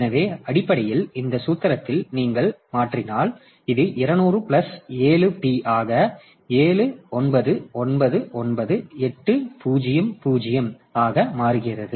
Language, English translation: Tamil, So, basically if in this formula so if if you substitute, so it becomes 200 plus 7 p into 799 800